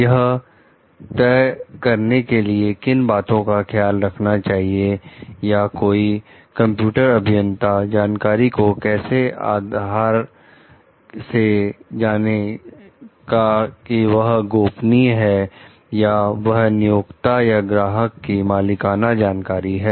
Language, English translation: Hindi, So, what are the considerations which are required in deciding or how a computer engineer can base keep the knowledge of like confidential as they are like proprietary knowledge of a client or employer